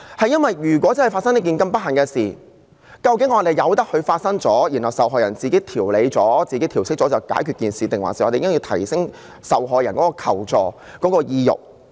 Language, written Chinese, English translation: Cantonese, 因為如果真的發生這樣不幸的事，究竟我們由得它發生，然後受害人自行調理和調適後便了結，還是我們應該提升受害人的求助意欲？, It is because the point at issue is in the event that such an unfortunate incident really happens should we just let it be and then call it a day leaving the victim alone to adjust and adapt to the situation or should we encourage her to seek help?